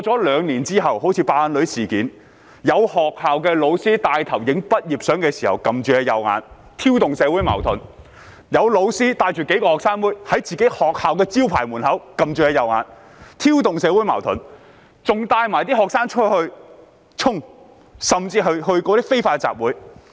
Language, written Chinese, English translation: Cantonese, 兩年過去，就如"爆眼女"事件，有學校教師拍攝畢業照時，帶頭按着右眼，挑動社會矛盾；有教師領着數名"學生妹"，在自己學校門口的招牌前按着右眼，挑動社會矛盾；有些還帶領學生出去"衝"，甚至參與非法集會。, Two years have passed just take the incident in which a young woman was said to have suffered a severe eye injury for instance some school teachers took the lead to cover their right eye when taking graduation photographs thereby provoking social conflicts . Some teachers led several school girls to cover their right eye in front of the signboard at the school entrance thereby provoking social conflicts . Some led students out to dash ahead and even participated in unlawful assemblies